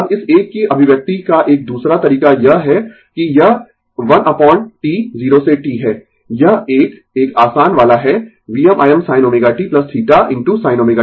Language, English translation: Hindi, Now, another way of expression of this one is that this is 1 upon T 0 to t, this is easier one V m I m sin omega t plus theta into sin omega t